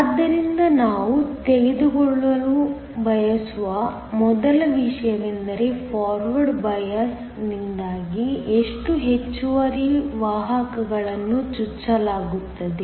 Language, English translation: Kannada, So, the first thing we want to know is how many excess carriers are injected because of the forward bias